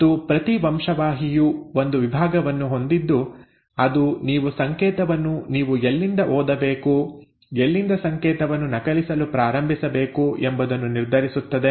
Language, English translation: Kannada, And each gene has a section which determines from where you need to start reading the code, from where you need to start copying the code